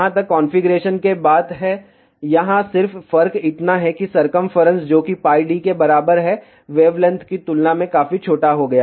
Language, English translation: Hindi, As far as the configuration is concerned the only difference here is that circumference, which is equal to pi D has to be much smaller than wavelength